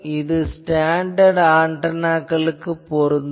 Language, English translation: Tamil, So, you need to have a standard antenna for measuring these